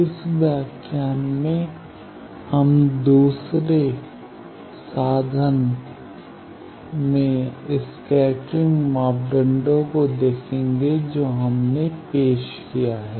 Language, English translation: Hindi, In these lecture, we will see properties of scattering parameters the second tool that we have introduced